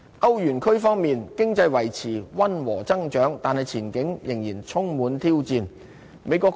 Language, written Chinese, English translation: Cantonese, 歐元區方面，經濟維持溫和增長，但前景仍然充滿挑戰。, Although the eurozone maintains mild economic growth the outlook is still challenging